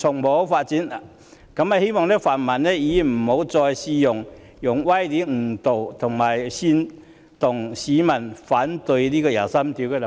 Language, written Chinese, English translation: Cantonese, 我希望泛民議員不要再用歪理誤導和煽動市民反對就第二十三條立法。, I hope that pan - democratic Members will not mislead the public with specious arguments and incite the public to oppose legislating for Article 23